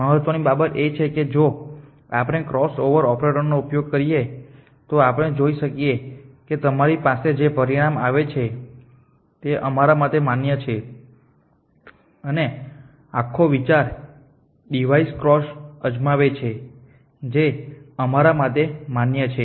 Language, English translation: Gujarati, The keep into many device is crossover operators is see that the resultant things at you have are valid to us the and the whole idea is try in device cross over which are valid to us